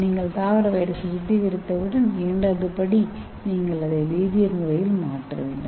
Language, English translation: Tamil, Once you purify the plant virus, the second step is you have to chemically modify it okay, how do you modify it